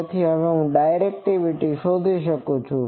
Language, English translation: Gujarati, So, now, I can find directivity